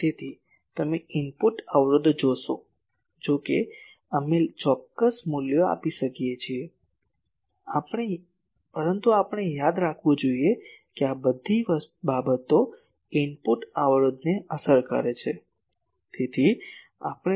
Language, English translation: Gujarati, So, you see input impedance, though we are giving a certain values, but we should remember that all these things effect this input impedance